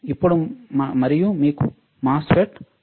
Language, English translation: Telugu, Now and you have a MOSFET